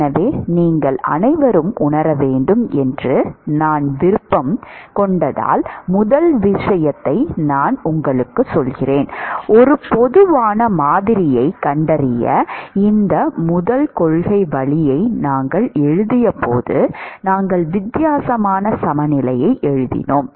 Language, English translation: Tamil, So, the first thing I want you all to realize is that when we wrote the this first principle route to find a general model, we wrote a differential balance